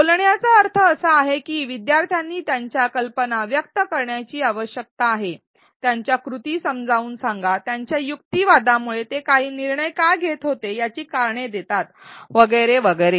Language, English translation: Marathi, What articulation means is that learners need to express their ideas, explain their actions, their reasoning give reasons for why they arrived at certain decisions and so on